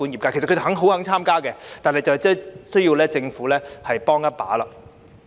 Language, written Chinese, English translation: Cantonese, 他們其實十分願意參與，但需要政府幫一把。, In fact they are very willing to take part in it but they need some assistance from the Government